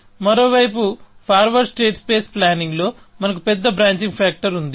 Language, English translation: Telugu, On the other hand, in forward state space planning, we had large branching factor